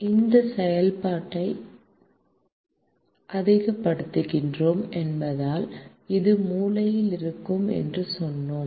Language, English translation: Tamil, since we are maximizing this function, we said this is the corner point